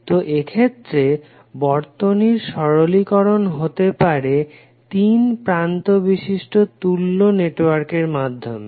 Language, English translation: Bengali, So in these cases, the simplification of circuits can be done using 3 terminal equivalent of the networks